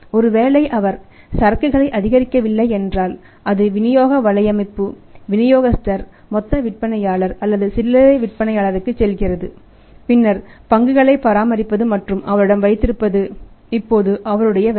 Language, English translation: Tamil, That if he is not mounting inventory it is going to the distribution network, distributor, wholesaler or retailer then it is his job now to maintain and to keep the stock with him